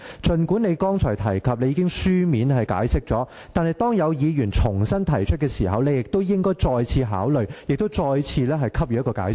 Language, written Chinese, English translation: Cantonese, 儘管你剛才提及已作出書面解釋，但當有議員重新提出規程問題時，你應要再次考慮，並再次給予解釋。, You said that a written explanation had already been given . But when another Member again raises a point of order you should reconsider the matter and offer your explanation once again